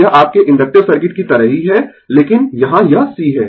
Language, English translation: Hindi, It is same like your inductive circuit, but here it is C